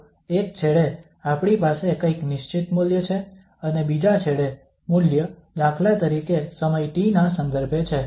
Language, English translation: Gujarati, So at one end, we have some fixed value and at the other end the value is depending on the time t for instance